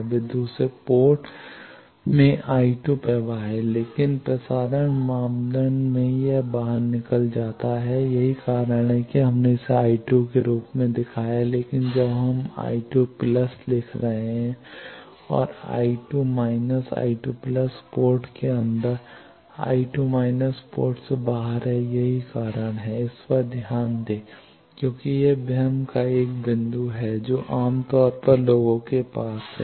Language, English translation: Hindi, They are the I 2 flows into the second port, but in transmission parameter it goes out that is why we have shown it as I two, but when we are writing the I 2 plus and I 2 minus I 2 plus is inside the port I 2 minus is out of the port that is why I 2 plus minus I 2 minus that direction is minus I 2 note this because this is 1 point of confusion generally people have that